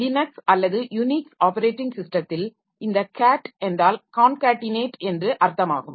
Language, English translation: Tamil, So, in Linux or Unix operating system, so this cat means concatenate